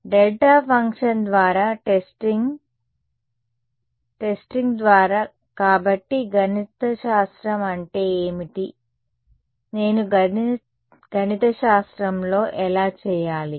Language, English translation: Telugu, Testing by delta function right testing by ; so, what is that mathematically how do I do in mathematically